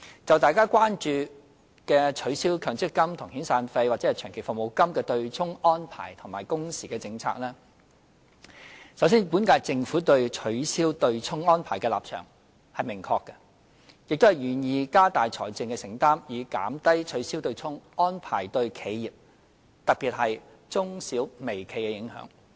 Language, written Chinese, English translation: Cantonese, 就大家關注的取消強制性公積金與遣散費或長期服務金的"對沖"安排及工時政策，首先，本屆政府對取消"對沖"安排的立場是明確的，亦願意加大財政承擔，以減低取消"對沖"安排對企業，特別是中小微企的影響。, As regards the abolition of the arrangement for offsetting long service payments and severance payments with Mandatory Provident Fund contributions and the working hours policy which are matters of concern to Honourable Members the stance of the current - term Government towards the offsetting arrangement is very clear . Moreover it is willing to increase its financial commitment to reduce the impact of the abolition of the arrangement on enterprises particularly small and medium enterprises